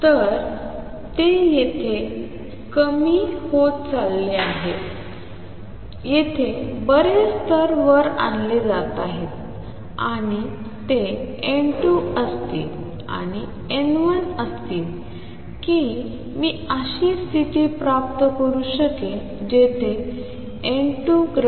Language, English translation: Marathi, So, they are getting depleted form here lots of levels are being pumped up and they will be a n 2 and n 1 would be such that I can achieve a condition where n 2 is greater than n 1